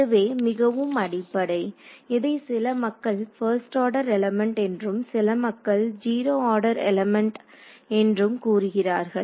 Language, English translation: Tamil, So, this is the most basic some people call it first order element some people call it zeroth order element depending they have different conventions